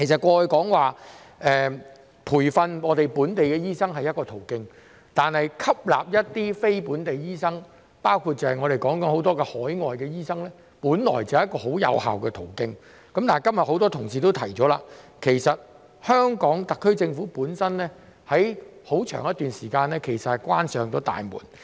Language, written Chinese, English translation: Cantonese, 過去培訓本地醫生是一個途徑，而吸納非本地醫生，包括我們現在談及的海外醫生，本來也是一個很有效的途徑，但正如今日很多同事指出，香港特區政府在過去一段很長時間關上了大門。, In the past training local doctors was one way and the admission of non - locally trained doctors NLTDs including the overseas doctors that we are talking about was originally another highly effective way . However as many colleagues have pointed out today the HKSAR Government has shut the door for a very long time previously